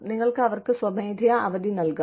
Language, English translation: Malayalam, You could give them, voluntary time off